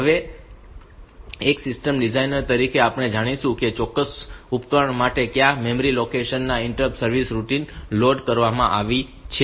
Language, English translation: Gujarati, Now, as a system designer we will know like in which, at for what memory location the interrupt service routine for a particular device has been loaded